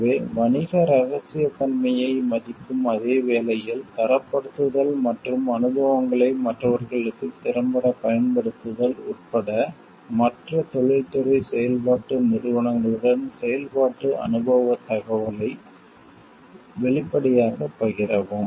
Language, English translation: Tamil, So, openly share operating experience information, with other industry operation organizations, including benchmarking and make effective use of experiences for others, while respecting commercial confidentiality